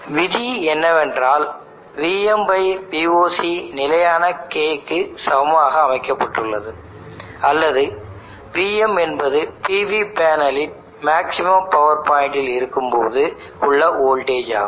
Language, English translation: Tamil, The rule is we made assumption that VM/VOC is equal to constant K or VM is the voltage of PV panel at maximum power point or peak power point